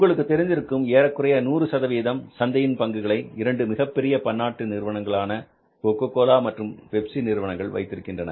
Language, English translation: Tamil, You know that now the largely, almost 100% market is in the hands of the two multinational companies, Coca Cola and Pepsi